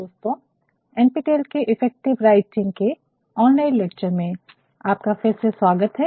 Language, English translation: Hindi, Good morning friends and welcome back to NPTEL online lectures on Effective Writing